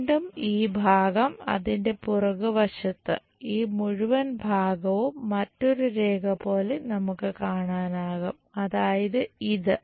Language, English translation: Malayalam, Again this part the back side of that this entire part we will see as one more line that is this